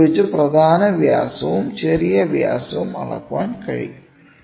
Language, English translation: Malayalam, Major diameter and minor diameter can be measured